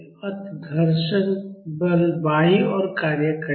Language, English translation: Hindi, So, the frictional force will act towards left